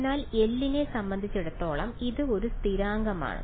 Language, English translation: Malayalam, So, it is a constant as far as L is concerned right